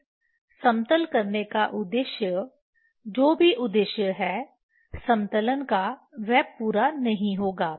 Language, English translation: Hindi, This again purpose for leveling the whatever the purpose of the leveling that will not be fulfilled